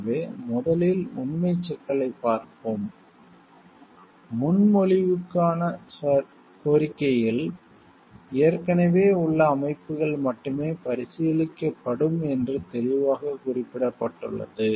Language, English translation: Tamil, So, will look at the factual issue first, the request for proposals clearly specified that the only existing systems will be considered